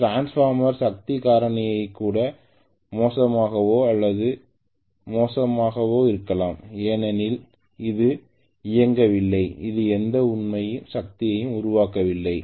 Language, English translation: Tamil, Transformer power factor could also be as bad or even worse because it is not even running, it is not even getting any real power developed